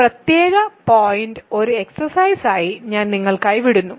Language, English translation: Malayalam, So, and this particular point I leave for you as an exercise